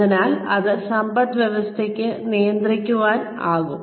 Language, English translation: Malayalam, So, that could be governed, by the economy